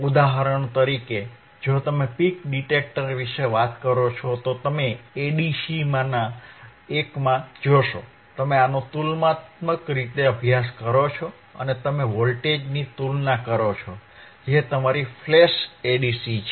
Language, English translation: Gujarati, For example, if you talk about peak detector, you will seen in one of the one of the a ADCs, you to use this as comparator and you are comparing the voltages which is ayour flash Aa DC